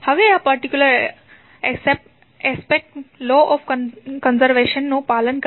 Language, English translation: Gujarati, Now, this particular aspect will follow the law of conservation